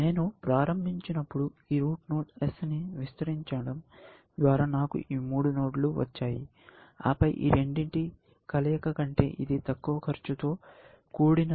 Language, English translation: Telugu, I started by expanding this root node s; I got these three nodes then, because this was cheaper than these two combined